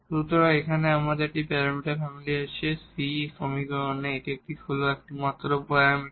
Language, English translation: Bengali, So, here we have this one parameter family the c is the only parameter in this in this equation